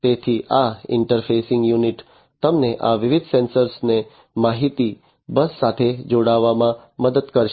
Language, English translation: Gujarati, So, this interfacing unit will help you to connect these different sensors to the information bus